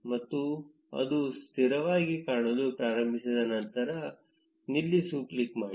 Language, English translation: Kannada, And after it starts to look stabilized, click on stop